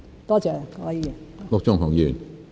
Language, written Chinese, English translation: Cantonese, 多謝陸議員。, Thank you Mr LUK